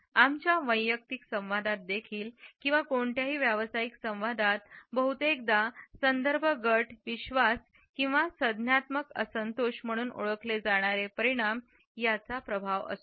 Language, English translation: Marathi, In any professional dialogue for that matter even in our personal dialogues, it often results in what is known as reference group beliefs or cognitive dissonance